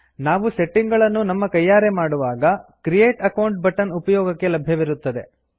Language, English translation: Kannada, When the settings are configured manually, the Create Account button is enabled